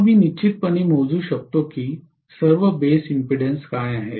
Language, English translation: Marathi, Then I can definitely calculate what are all the base impedances